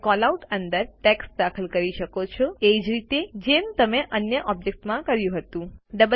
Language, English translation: Gujarati, You can enter text inside the Callout just as you did for the other objects